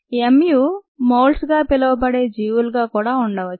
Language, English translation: Telugu, and also, there are organisms called molds